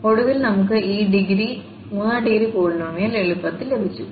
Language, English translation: Malayalam, So, we got this third degree polynomial